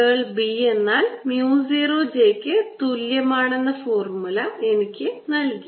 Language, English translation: Malayalam, and the formula gave me that curl of b was equal to mu zero j